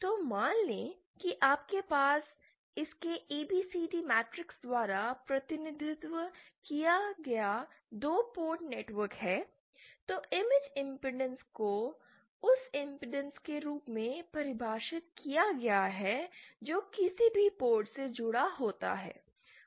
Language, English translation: Hindi, So suppose you have a two port network represented by its ABCD matrix, then the image impedance is defined as that impedance which when connected to any port